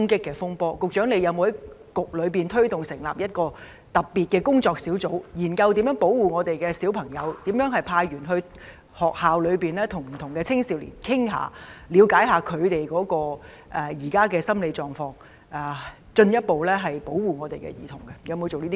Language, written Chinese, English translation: Cantonese, 局長有否在局內推動成立特別工作小組，研究如何保護兒童，以及派員到學校跟不同的青少年溝通，了解他們目前的心理狀況，並進一步保護兒童？, Has the Secretary promoted within the Bureau the setting up of a special working group to examine ways to protect children and assigned officers to conduct visits to schools to communicate with youngsters of different backgrounds in order to understand their psychological condition at present and provide further protection to children?